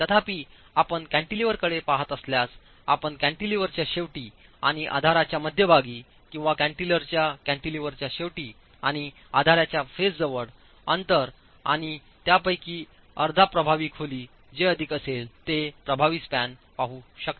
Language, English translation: Marathi, However, if you are looking at a cantilever, you can look at the distance between the end of the cantilever and the center of the support or the distance between the end of the cantilever and the face of the support plus half the effective depth whichever is greater